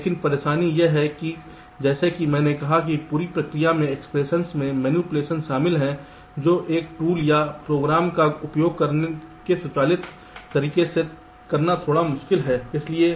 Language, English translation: Hindi, but the trouble is that, as i said, the entire process consists of manipulation of expressions, which is a little difficult to do in an automated way by using a tool or a program